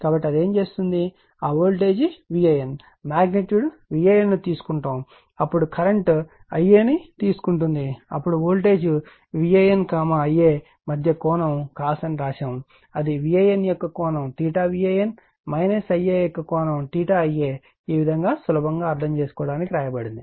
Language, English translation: Telugu, So, it will what it will do that voltage V A N magnitude will take V A N then you will take the current I a , then angle between this , voltage that is your I write cosine of theta V A N that is the angle of V A N , minus theta of I a right, this way it is written just for easy understanding right